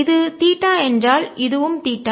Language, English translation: Tamil, if this is theta, this is also theta